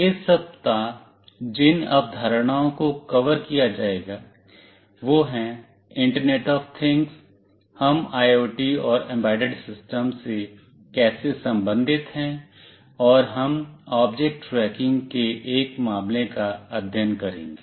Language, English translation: Hindi, The concepts that will be covered in this week is what is internet of things, how we relate IoT and embedded systems, and we shall take a case study of object tracking